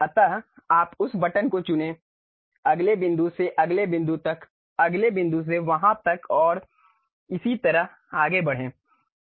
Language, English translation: Hindi, So, for spline you pick that button, next point from next point to next point from there to there and so on